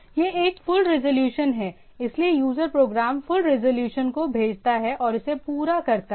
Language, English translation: Hindi, This is a full resolution so, the user program in turn send to the full resolution and get it done